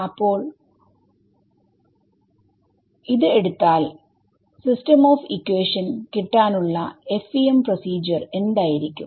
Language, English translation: Malayalam, So, what was what was the FEM procedure to get a system of equations take one one T